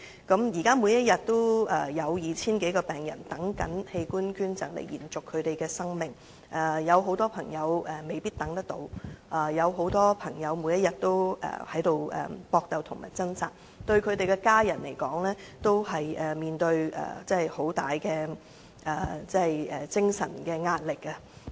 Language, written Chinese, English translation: Cantonese, 現時每天也有 2,000 多名病人正在輪候器官捐贈來延續生命，有很多朋友未必等得到，有很多則每天也在搏鬥和掙扎，他們的家人均面對極大的精神壓力。, At present some 2 000 patients are waiting for an organ donation to have a new lease of life . Many of them may not be able to have one and many are fighting and struggling to live on . Their family members are subject to immense psychological stress as well